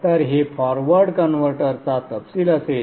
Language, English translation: Marathi, I will show you one example for the forward converter